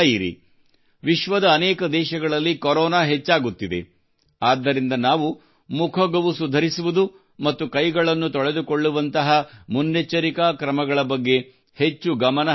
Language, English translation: Kannada, You are also seeing that, Corona is increasing in many countries of the world, so we have to take more care of precautions like mask and hand washing